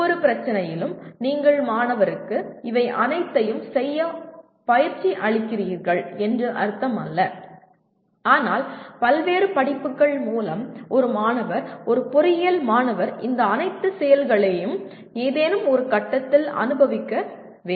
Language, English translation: Tamil, It does not mean that with every problem you train the student to do all these, but in the program through various courses a student, an engineering student should experience all these activities at some stage or the other